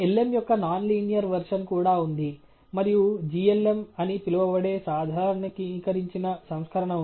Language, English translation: Telugu, There is also a non linear version of the lm routine and there is a generalized version called glm